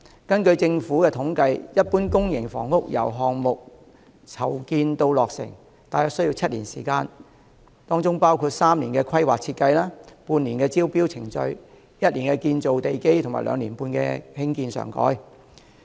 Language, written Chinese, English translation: Cantonese, 根據政府的統計，一般公營房屋由項目籌建至落成，大約需時7年，包括3年規劃設計、半年招標程序、1年建造地基和兩年半興建上蓋。, According to government statistics a public housing project generally takes about seven years from planning to completion including three years for planning and design half a year for tendering procedures one year for foundation construction and two and a half years for superstructure construction